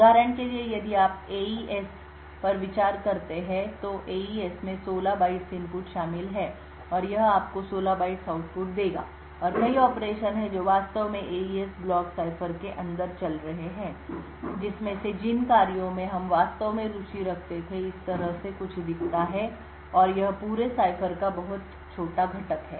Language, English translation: Hindi, So for example if you consider a AES and AES comprises of 16 bytes of input and it would give you 16 bytes of output and there are several operations which are actually going on inside the AES block cipher out of which the operations that we were actually interested in looks something like this and is a very small component of the entire cipher